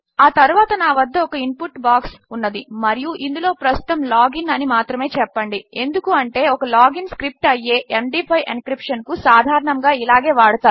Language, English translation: Telugu, Next, Ill have an input box and this will say, lets just say log in for now because this is a typical use for an MD5 encryption which would be a log in script